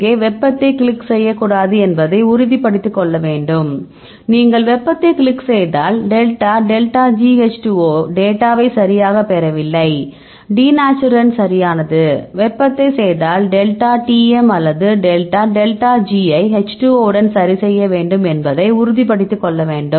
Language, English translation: Tamil, So, if you do so you have to make sure that you should not click the thermal here, if you click the thermal and if you do that delta delta G H 2 O, you do not get any data right your denaturant that is fine, if you do the thermal, then you have to look for the delta Tm, or the delta delta G not with the H 2 O right the make sure ok